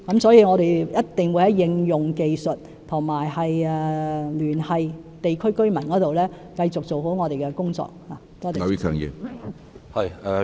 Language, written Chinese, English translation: Cantonese, 所以，我們一定會在應用技術和聯繫地區居民方面繼續做好我們的工作。, Hence we will certainly continue to do a good job of our work in the application of technologies and liaison with local residents